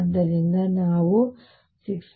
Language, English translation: Kannada, So, about let us say 6